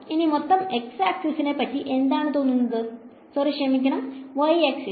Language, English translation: Malayalam, What about the entire x axis sorry the entire y axis